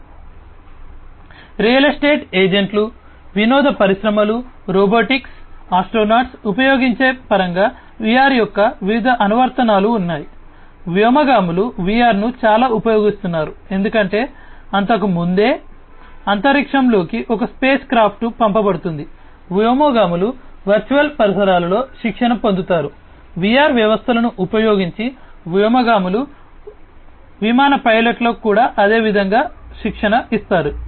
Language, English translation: Telugu, So, there are different applications of VR in terms of you know used by real estate agents, entertainment industries, robotics, astronauts; astronauts use VR a lot because you know even before and you know and a space craft is sent to the in the space, the astronauts are trained in the virtual environments, using VR systems, the astronauts are trained similarly for the flight pilots, as well